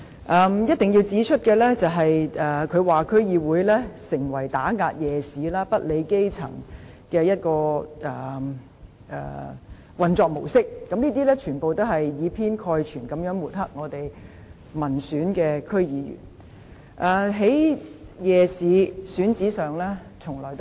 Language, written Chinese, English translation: Cantonese, 我一定要指出的是，她說區議會成為打壓夜市、不理基層的運作模式，這些全部也是以偏概全地抹黑民選區議員。, I must point out that her comments on DCs evolving into the mode of suppressing night markets and disregarding the grass roots are all over - generalizations that vilify DC members